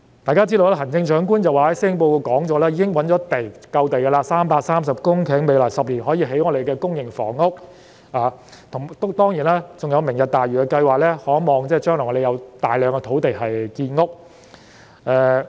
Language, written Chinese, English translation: Cantonese, 大家都知道，行政長官在施政報告中表示已覓得足夠的土地，有330公頃土地可在未來10年興建公營房屋，當然，還有"明日大嶼"計劃，我們可望將來有大量土地興建房屋。, As we all know the Chief Executive has stated in the Policy Address that the Government has already identified sufficient land amounting to 330 hectares for building public housing units in the next 10 years and of course not forgetting the Lantau Tomorrow project which can be expected to provide us with a large quantity of land for construction of housing